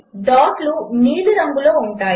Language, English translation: Telugu, The dots are of blue color